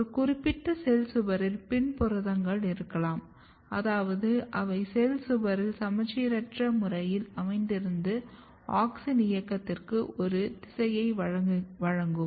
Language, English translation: Tamil, So, one particular cell wall may have the PIN proteins, which means that they are asymmetric localization in the cell wall can provide a direction for auxin movement